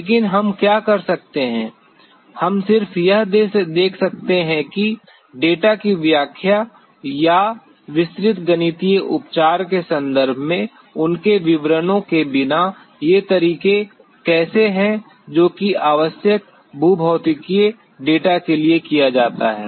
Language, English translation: Hindi, But, what we can do, we can just see how these methods without getting into their much of details in terms of the interpretation of data or the detailed mathematical treatment that is done to the geophysical data that are required